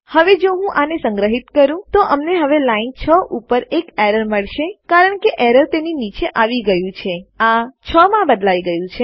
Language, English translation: Gujarati, Now if I were to save that, we will now get an error on line 6 because the error has come down to it, that changes to 6